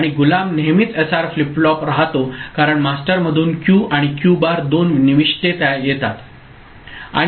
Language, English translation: Marathi, And the slave will always be SR flip flop because there are two inputs coming from Q and Q bar of the master ok